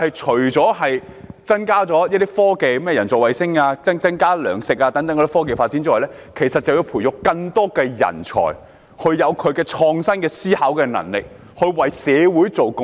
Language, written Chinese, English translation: Cantonese, 除了可以促進科技發展，例如人造衞星及增加糧食生產外，其實就是想培育更多人才，希望能有創新思考的能力，為社會作出貢獻。, Apart from promoting technological development such as satellites and higher food production it is actually about nurturing more talented and innovative minds that can contribute to society